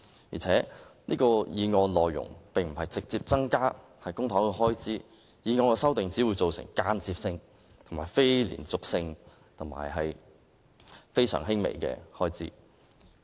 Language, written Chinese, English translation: Cantonese, 而且，這項決議案的內容並無直接提出增加公帑開支，有關修訂只會造成間接性、非連續性及非常輕微的開支。, This resolution does not seek to directly increase Government expenditure and the amendment will only lead to indirect non - recurrent and negligible Government spending